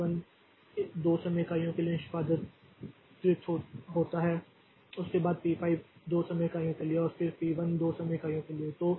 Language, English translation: Hindi, So, P1 executes for 2 time units followed by P5 for 2 time units